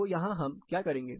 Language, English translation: Hindi, What do we do here